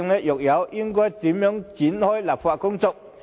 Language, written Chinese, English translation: Cantonese, 若有，又該如何開展立法工作？, If so how should the legislative work commence?